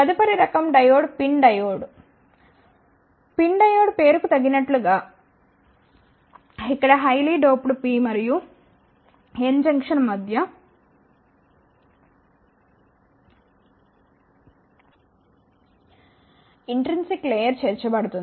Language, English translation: Telugu, The, next type of the diode is the pin diode as the name says that, here the intrinsic layer is inserted between the highly doped P and N Junction